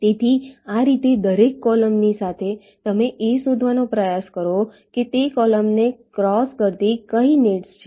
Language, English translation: Gujarati, ok, so in this way, along every column you try to find out which are the nets which are crossing that column